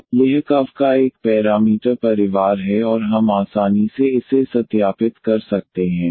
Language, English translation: Hindi, So, this is a one parameter family of curves and we one can easily verify that